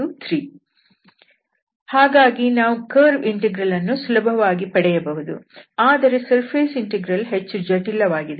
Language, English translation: Kannada, So we can easily compute this curve integral and the surface integral seems to be difficult